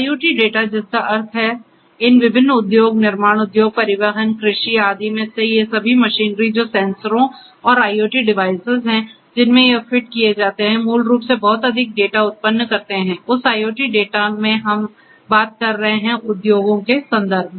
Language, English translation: Hindi, IoT data that means, all these machinery in these different industry, manufacturing industry, transportation, agriculture, etcetera the sensors and IoT device that are fitted they continuously basically generate lot of data so that in that IoT data that we are talking about in the context of industries